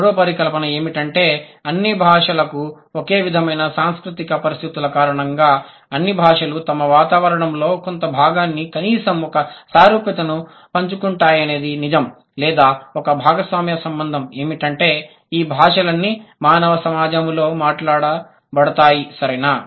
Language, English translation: Telugu, The third hypothesis is that because of the similar cultural conditions for all languages, in a sense it is that it is true that all languages share some of their environment, at least one similarity or one shared relation is that all the languages are spoken in a human community